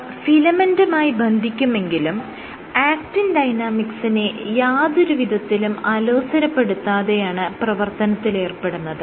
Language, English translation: Malayalam, Now, binds to filaments, but without perturbing actin dynamics